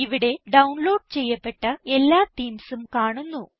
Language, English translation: Malayalam, Here all the themes which have been downloaded are visible